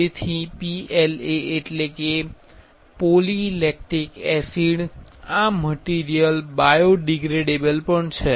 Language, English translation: Gujarati, So, PLA stands for polylacticacid this material is also biodegradable